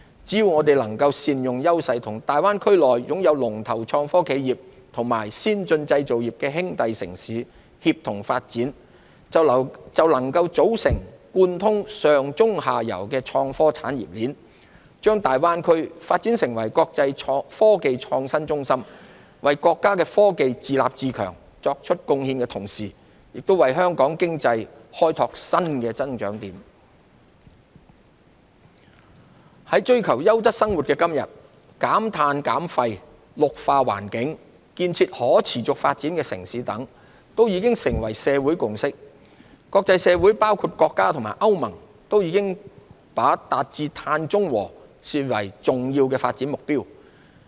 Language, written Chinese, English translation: Cantonese, 只要我們能夠善用優勢，與大灣區內擁有龍頭創科企業和先進製造業的兄弟城市協同發展，便能組成貫通上、中、下游的創科產業鏈，將大灣區發展成為國際科技創新中心，為國家的科技自立自強作出貢獻的同時，也為香港經濟開拓新增長點。在追求優質生活的今天，減碳減廢、綠化環境、建設可持續發展的城市等，都已成為社會共識。國際社會包括國家和歐盟都已把達至碳中和視為重要發展目標。, Hong Kong can open up greater room for development by leveraging the advantages under One Country Two Systems playing its unique role as a gateway and an intermediary integrating into the new overall development of our country actively participating in the national dual circulation development strategy and seizing the opportunities brought by the development of the Guangdong - Hong Kong - Macao Greater Bay Area and the Belt and Road BR Initiative